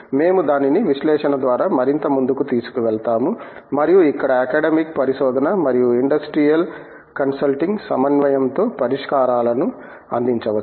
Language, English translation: Telugu, We take it up further by way of analysis and here comes the interface of academic research, industrial consulting and providing solutions